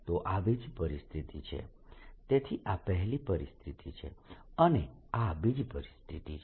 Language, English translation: Gujarati, so this is first situation, this is a second situation